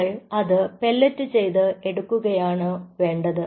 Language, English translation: Malayalam, you just have to pellet it